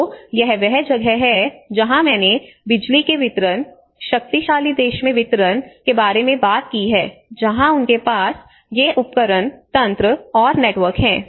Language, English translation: Hindi, So that is where I talked about the distribution of power you know distribution of in the powerful country that is where they have these instruments and mechanisms and the network